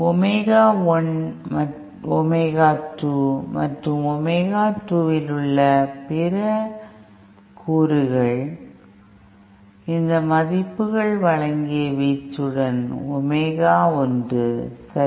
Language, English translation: Tamil, And 2 other components at omega 1 omega 2 and omega 2 omega one with amplitude given by these values, okay